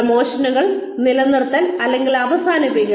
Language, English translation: Malayalam, Promotions, Retention or Termination